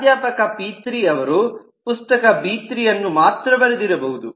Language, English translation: Kannada, professor p3 has written b3 alone